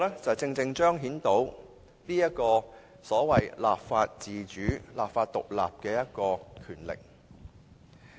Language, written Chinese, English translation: Cantonese, 這正正可以彰顯所謂立法自主、立法獨立的權力。, Doing so can precisely manifest the so - called parliamentary sovereignty and legislative independence